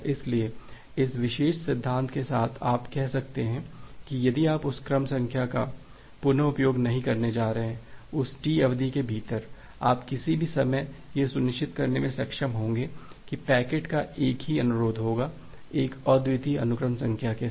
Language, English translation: Hindi, So, with this particular principle you can say that if you are not going to reuse that sequence number, within that T second of duration, you will be able to ensure that at any time, there would be only a single instance of a packet with a unique sequence number